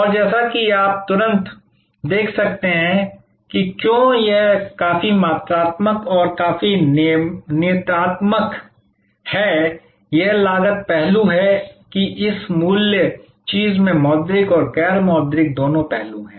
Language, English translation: Hindi, And as you can immediately see that, why this is quite quantitative and quite deterministic, this cost aspect that this value thing has both monitory and non monitory aspects